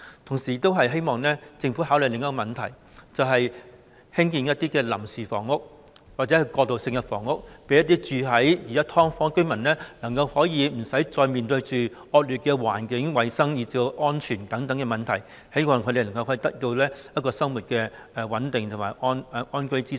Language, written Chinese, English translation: Cantonese, 同時，我亦希望政府考慮另一項問題，就是興建臨時房屋或過渡性房屋，讓現時居住在"劏房"的居民可以無須面對惡劣的環境、衞生和安全等問題，使他們能夠生活穩定及得到安居之所。, Meanwhile I also hope that the Government can consider another issue that is the construction of interim or transitional housing so that residents living in subdivided units at present do not have to face the problem of poor living conditions hygiene and safety and they can lead stable lives and have safe accommodation